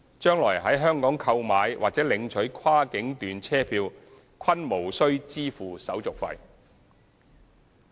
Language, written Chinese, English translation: Cantonese, 將來在香港購買或領取跨境段車票均無須支付手續費。, No service fee will be charged when buying or collecting cross boundary journey tickets in Hong Kong